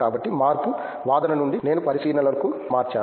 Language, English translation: Telugu, So, the change is like from argument I changed to observation